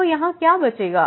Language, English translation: Hindi, So, what will remain here